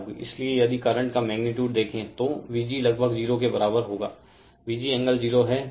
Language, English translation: Hindi, So, if you see the current magnitude, I will be equal to V g approximate that angle is 0, V g angle 0 right